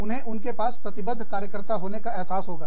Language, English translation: Hindi, They will feel, that they have a committed worker